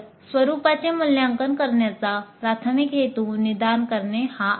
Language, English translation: Marathi, So the primary purpose of format assessment is diagnostic in nature